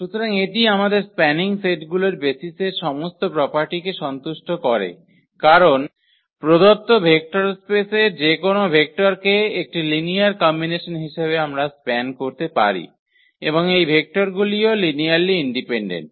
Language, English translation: Bengali, So, it satisfies all the properties of the basis we have this is a spanning set because, we can span any vector of the given vector space in the form of as a linear combination of the given vectors and also these vectors are linearly independent